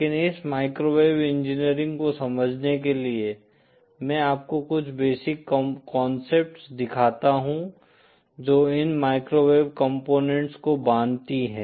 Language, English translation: Hindi, But in order to understand a flavour of this microwave engineering, let me show you some of the basic concepts bind these microwave components